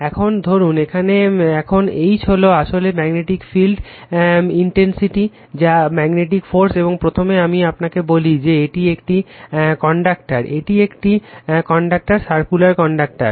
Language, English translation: Bengali, Now, this is suppose here now H is actually called magnetic field intensity or magnetic force, and first let me tell you, this is a conductor right, this is a conductor circular conductor